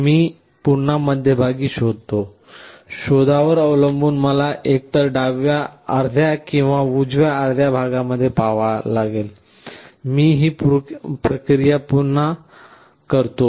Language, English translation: Marathi, I again probe in the middle, depending on the probe either I have to see in the left half or the right half; I repeat this process